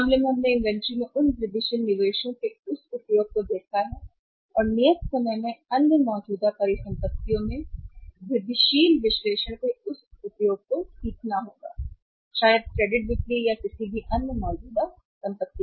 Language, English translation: Hindi, In this case we have seen this use of those incremental investments in inventory and in the due course will be learning this use of incremental analysis in the other current assets also maybe the credit sales or the any other current assets